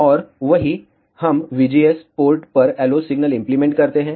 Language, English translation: Hindi, And the same, we apply the LO signal at the V GS port